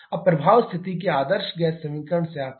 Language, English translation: Hindi, Now the effects comes from the ideal gas equation of state